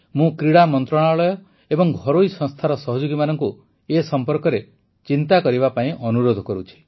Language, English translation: Odia, I would urge the Sports Ministry and private institutional partners to think about it